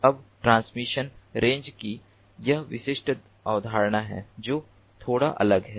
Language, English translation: Hindi, now there is this allied concept of transmission range which is bit different